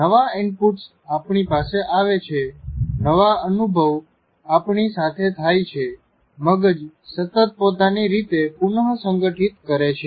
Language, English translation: Gujarati, As new inputs come to us, new experiences happen to us, the brain continuously reorganizes itself